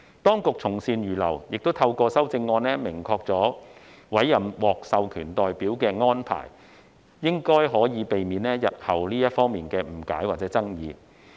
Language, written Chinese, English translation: Cantonese, 當局從善如流，透過修正案明確委任獲授權代表的安排，應可避免日後在這方面的誤解或爭議。, The Administration readily accepted our good advice . Through the amendment it has made clear the arrangement for the appointment of authorized representatives which should be able to avoid any misunderstanding or dispute in this regard in the future